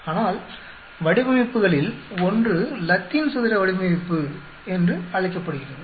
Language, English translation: Tamil, But one of the designs is called the Latin square design